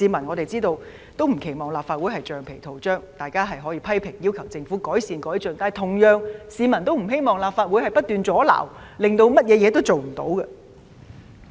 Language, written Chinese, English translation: Cantonese, 我們知道，市民也不希望立法會是橡皮圖章，大家可以批評，要求政府改善和改進，但同樣地，市民也不希望立法會不斷阻撓，以致甚麼事情也做不了。, We understand that it is not the wish of the people to see the Legislative Council become a rubber stamp . We can make criticisms; we can demand the Government to make improvement or do better . But meanwhile the public do not wish to see the Legislative Council incessantly caught in an impasse making it impossible for anything to be done as a result